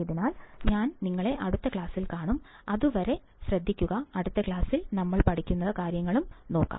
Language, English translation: Malayalam, So, I will see you in the next class, and till then, take care, and let us see what we learn in the next class, alright